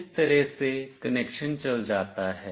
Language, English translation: Hindi, This is how the connection goes